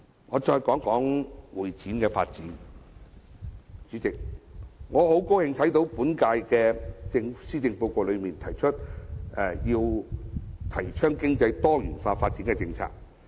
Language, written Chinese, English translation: Cantonese, 我再談談會展業發展方面，代理主席，我很高興看到這份施政報告提出推動經濟多元化發展的政策。, Let me now talk about the development of the convention and exhibition CE industry Deputy President . I am very glad that this Policy Address proposes the policy of promoting economic diversification